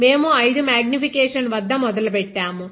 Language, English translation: Telugu, We started at 5 x magnification